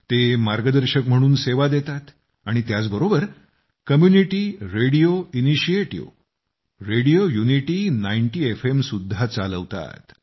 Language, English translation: Marathi, They also serve as guides, and also run the Community Radio Initiative, Radio Unity 90 FM